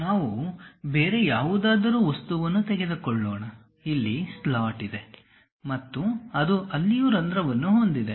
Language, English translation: Kannada, Let us take some other object, having a slot here and it has a hole there also